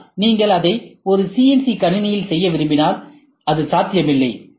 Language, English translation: Tamil, But, if you want to do it on a CNC machine, it is not possible